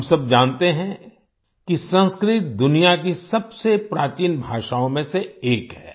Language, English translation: Hindi, We all know that Sanskrit is one of the oldest languages in the world